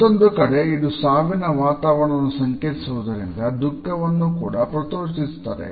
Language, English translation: Kannada, On the other hand, it is also associated with a funeral atmosphere and they evoke sorrow